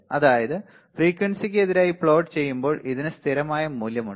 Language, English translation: Malayalam, So, when you plot a shot noise against frequency you will find it has a constant value ok